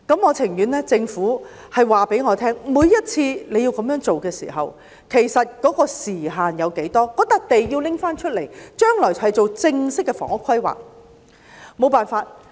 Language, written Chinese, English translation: Cantonese, 我情願政府告訴我，每次要這樣做的時候，其實時限有多少；土地要交還出來，將來作正式的房屋規劃，沒有其他辦法。, I prefer a time limit to be given by the Government each time when it has to build something of a temporary nature; the land must be surrendered for formal housing planning in the future there is no other alternatives